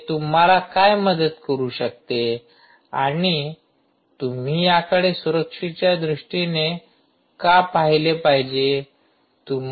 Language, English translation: Marathi, what is it going to help you and why should you look at this